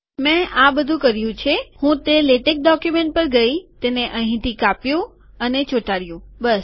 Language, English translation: Gujarati, All that I have done is, I went to that latex document, cut and pasted it here, thats all